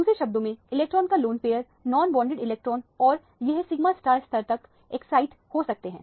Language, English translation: Hindi, In other words, the lone pair of electron, the non bonded electrons and this can be excited to the sigma star level